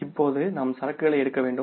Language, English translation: Tamil, Now we have to take the inventory